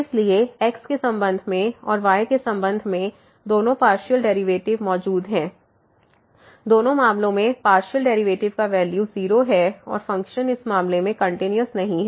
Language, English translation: Hindi, So, both the partial derivatives with respect to and with respect to exist the value of the partial derivatives in both the cases are 0 and the function was are not continuous in this case